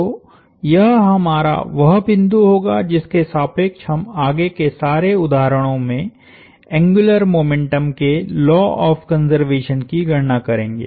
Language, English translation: Hindi, So, this shall be our point about which we will compute the law of conservation of angular momentum, in all the future example problems